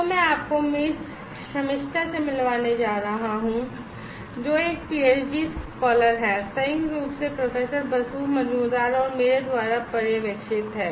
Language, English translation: Hindi, So, I am going to now introduce to you Miss Shamistha, who is a PhD scholar, jointly been supervised by Professor Basu Majumder and by myself